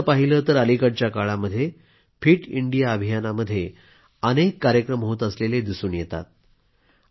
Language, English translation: Marathi, By the way, these days, I see that many events pertaining to 'Fit India' are being organised